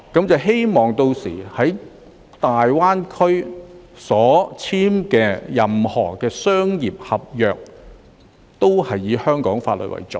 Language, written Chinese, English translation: Cantonese, 屆時在大灣區內簽署的任何商業合約，均以香港法律為準。, By then all business contracts signed in the Greater Bay Area will be based on the laws of Hong Kong